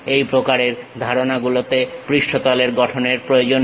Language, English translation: Bengali, This kind of concepts requires surface construction